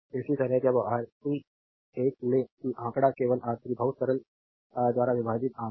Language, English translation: Hindi, Similarly when you take Rc 1 that numerator is common right divided by only R 3 very simple